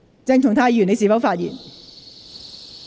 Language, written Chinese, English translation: Cantonese, 鄭松泰議員，你是否發言？, Dr CHENG Chung - tai are you going to speak?